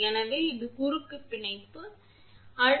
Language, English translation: Tamil, So, this is a cross bonding this is a cross bonding